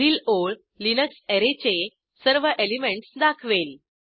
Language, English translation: Marathi, The next line displays all the elements of the Array Linux